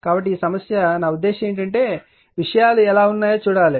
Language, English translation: Telugu, So, this problem, I mean you have to see how things are right